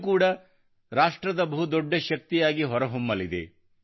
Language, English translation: Kannada, This too will emerge as a major force for the nation